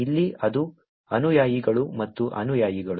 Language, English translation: Kannada, Here it is followers and followings